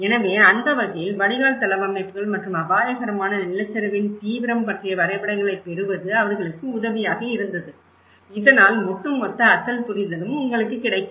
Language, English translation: Tamil, So, in that way, it was helpful for them to get the drain layouts and as well the hazard landslide intensity maps, so that will give you an overall original understanding as well